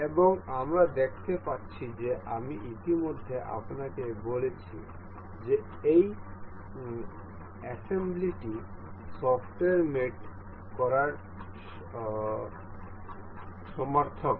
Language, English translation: Bengali, And we can see I have already told you this assembly is synonymous to mate in the software